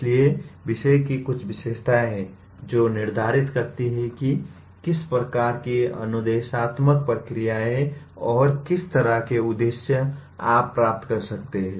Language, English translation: Hindi, So there is some features of the subject that determine what kind of instructional procedures and what kind of objectives that you can achieve